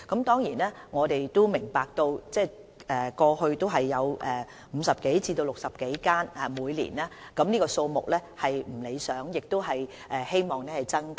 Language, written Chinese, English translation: Cantonese, 當然，我們也明白過去每年只有50多至60多間小學的學生可接種疫苗，這個數目實在有欠理想，大家也希望可以增加。, We do understand that it is less than satisfactory to provide influenza vaccination for students from a mere 50 to 60 schools in each of the past years and we hope that the number can increase